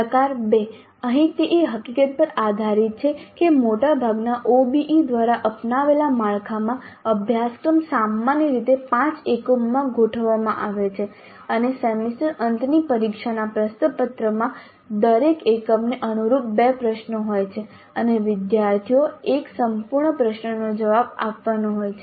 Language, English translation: Gujarati, The type 2 here it is based on the fact that in most of the OBE adopted frameworks the cellobus is typically organized into five units and the semester end examination question paper has two questions corresponding to each unit and the student has to answer one full question from these two questions